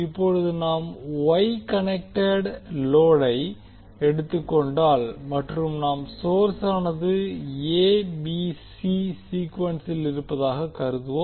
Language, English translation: Tamil, Now since we have considered the Y connected load and we assume the source is in a b c sequence